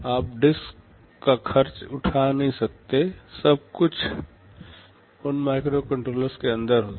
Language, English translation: Hindi, You cannot afford to have a disk, everything will be inside that microcontroller itself